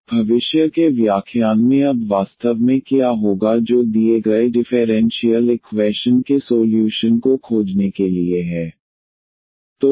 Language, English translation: Hindi, So, what will be actually coming now in the future lectures that how to find the solution of given differential equation